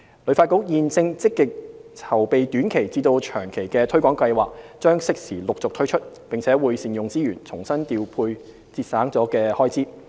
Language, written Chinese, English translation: Cantonese, 旅發局現正積極籌備短期至長期的推廣計劃，將適時陸續推出，並會善用資源，重新調撥節省了的開支。, HKTB has been actively preparing for both short and long - term promotion plans which will be rolled out gradually at opportune time and will make the best use of its resources to re - allocate the unused funding